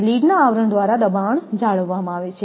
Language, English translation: Gujarati, Pressure is retained by the lead sheath